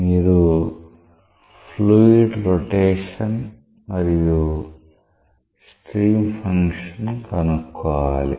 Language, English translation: Telugu, You have to find out the fluid rotation and the stream function